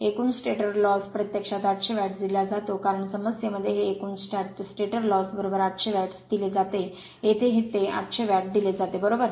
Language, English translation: Marathi, Total stator loss is given actually 800 watt because in the problem it is given the total stator loss is equal to 800 watt here it is given 800 watt right